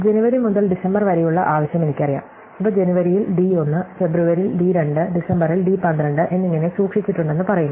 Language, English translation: Malayalam, So, I know the demand from January to December and say these are stored as d 1 for January, d 2 for February and so on to d 12 for December